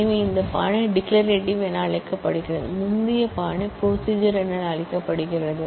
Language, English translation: Tamil, So, this style is known as declarative whereas, the earlier style is known as procedure